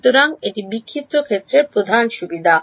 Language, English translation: Bengali, So, this is the main advantage of scattered field